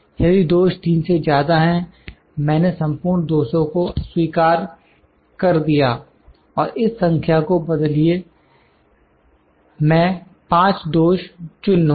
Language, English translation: Hindi, If the defect is more than 3, I’ll inspect the whole 200 and change this number I will select 5 defects